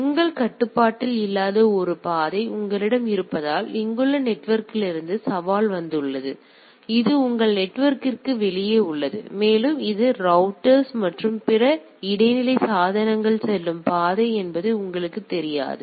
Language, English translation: Tamil, The challenge has come from the network here right because you have a path which is not exactly in your control; it is outside the your network and it you do not know that the path which are the routers and other devices intermediate devices it is following